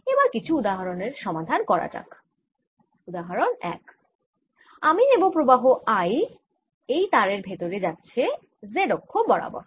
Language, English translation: Bengali, as example one, i am going to take current i going in a wire along the z axis